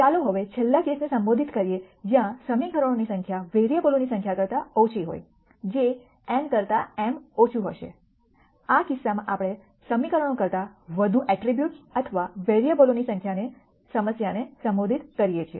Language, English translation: Gujarati, Now let us address the last case where the number of equa tions are less than the number of variables, which would be m less than n in this case we address the problem of more attributes or variables than equations